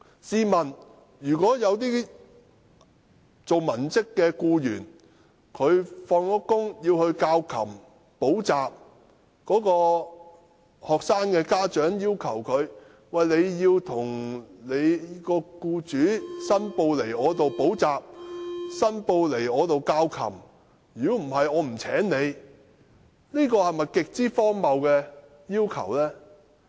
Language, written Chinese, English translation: Cantonese, 試問如果文職僱員在下班後從事教琴或補習工作，但學生的家長卻要求他們向其僱主申報這些教琴或補習工作，否則不會聘請他們，這是否極為荒謬的要求呢？, Suppose a white - collar employee works as a piano teacher or tutor after work but the students parents request him to declare such work to his employer otherwise they will not hire him . What an extremely absurd request it is!